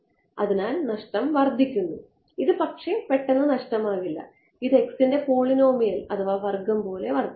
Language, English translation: Malayalam, So, the loss increases as, it does not become suddenly lossy it increases as some polynomial power of x